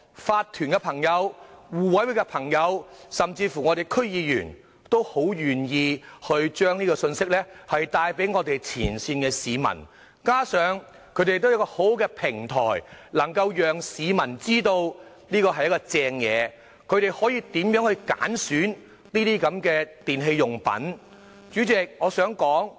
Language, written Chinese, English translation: Cantonese, 法團和互委會的朋友，甚至我們區議員，都很願意將信息帶給市民，加上他們亦有很好的平台，能夠讓市民知道這是一項好政策，教導市民如何去選擇電器產品。, Friends in owners corporations mutual aid committees and District Council members are most willing to relay the message to the public on their effective platforms in order to let people know that this is a good policy and teach them how to choose electrical appliances